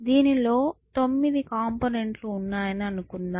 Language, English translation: Telugu, Let us say that there are 9 components to this